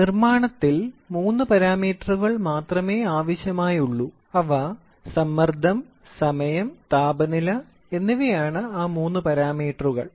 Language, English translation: Malayalam, See, in manufacturing there are only three parameters, they are pressure, time and temperature these are the three parameters